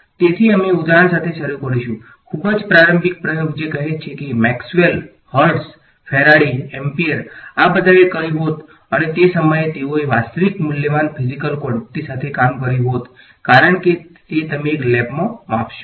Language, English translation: Gujarati, So, we will start with for example, the very early experiments which lets say Maxwell, Hertz, Faraday, Ampere all of these would have done and at that time they would have worked with real valued physical quantities, because that is what you measure in a lab